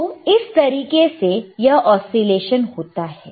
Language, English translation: Hindi, So, this is how the these are the oscillations will occur,